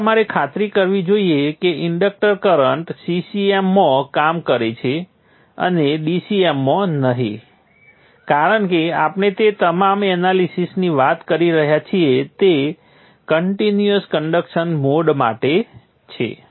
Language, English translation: Gujarati, So you should ensure that the inductor current is operating in CCM and not in DCM because all the analysis that we have been talking about is for a continuous conduction mode